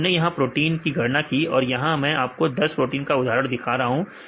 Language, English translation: Hindi, So, we calculated the different proteins here I show an example with 10 proteins